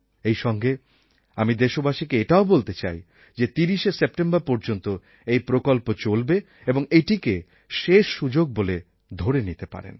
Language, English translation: Bengali, At the same time, I want to tell the people of the country that please consider this plan, which is up to 30th September as your last chance